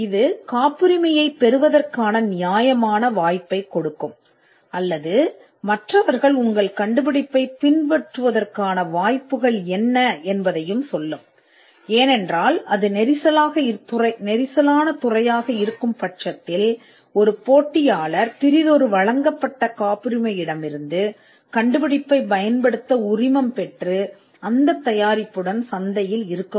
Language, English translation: Tamil, Now this will give a fair chance of getting a patent or what are the chances of others imitating your invention, because if it is a crowded field then it is quite possible that a competitor could license another invention from and from another granted patent, and still be in the market with the product